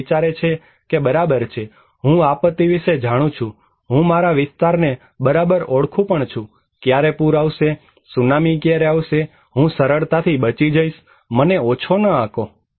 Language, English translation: Gujarati, People think okay, I know about disaster, I know my area very well so, when the flood will come, tsunami will come, I can easily escape, do not underestimate me